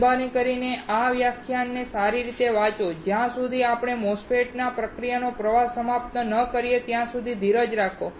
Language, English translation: Gujarati, Please read this lecture thoroughly and until we finish the MOSFET process flow, have some patience